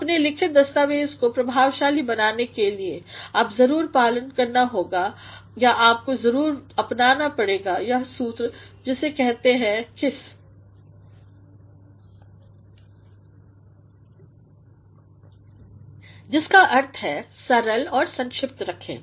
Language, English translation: Hindi, In order to make your written document effective, you must go by OR you must adapt the formula which is called KISS; which means Keep it Simple and Short